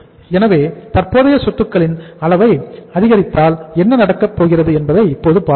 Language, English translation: Tamil, So now we will see that if we increase the level of current assets what is going to happen